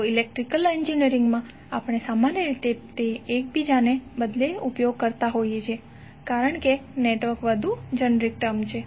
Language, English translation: Gujarati, So in Electrical Engineering we generally used both of them interchangeably, because network is more generic terms